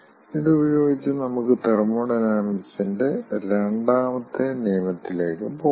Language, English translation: Malayalam, with this let us move to the second law of thermodynamics